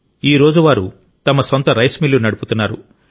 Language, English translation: Telugu, Today they are running their own rice mill